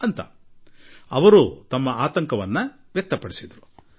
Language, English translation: Kannada, " They thus expressed their concern